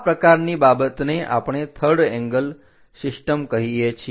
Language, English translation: Gujarati, Such kind of things what we call third angle system